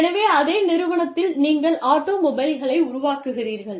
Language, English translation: Tamil, So, the same company, yes, you are making automobiles